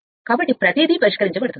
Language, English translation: Telugu, So, everything will be solved right